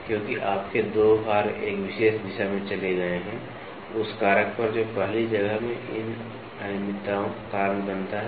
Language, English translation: Hindi, Because your 2 load have moved in one particular direction, on the factor that causes these irregularities in the first place